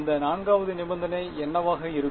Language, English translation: Tamil, What will that 4th condition be